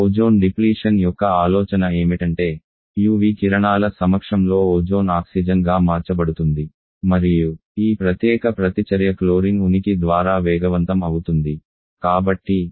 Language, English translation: Telugu, The idea ozone deflection is that when the in presence of UV rays the Ozone can get converted to Oxygen and this particular reaction gets quick and up by the presence of chlorine